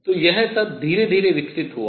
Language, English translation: Hindi, So, all this built up slowly